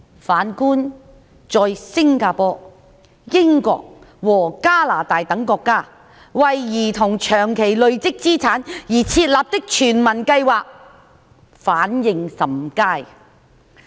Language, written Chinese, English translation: Cantonese, 反觀在新加坡、英國及加拿大等國家，為兒童長期累積資產而設立的全民計劃反應甚佳。, On the contrary in countries such as Singapore the United Kingdom and Canada universal programmes set up for providing long - term asset accumulation for children have received very positive responses